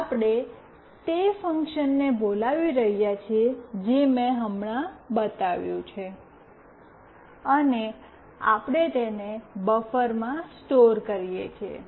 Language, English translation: Gujarati, We are calling that function which I have shown just now, and we are storing it in buffer